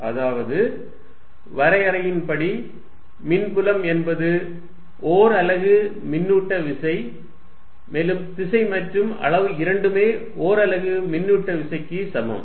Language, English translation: Tamil, That means, by definition electric field is nothing but force per unit charge direction and magnitude both are equivalent to force per unit charge